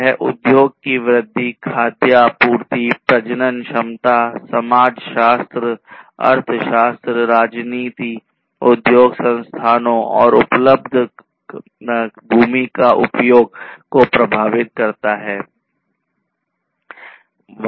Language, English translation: Hindi, It affects the industry growth, food supplies, fertility, sociology, economics politics, industry locations, use of available lands, and so on